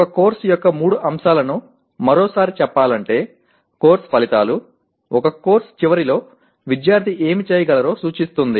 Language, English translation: Telugu, Now once again to reinstate the three elements of a course are Course Outcomes, representing what the student should be able to do at the end of a course